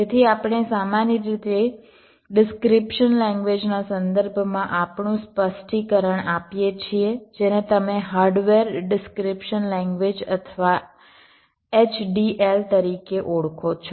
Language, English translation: Gujarati, so we typically give our specification in terms of a description language, which you call as hardware description language or h d l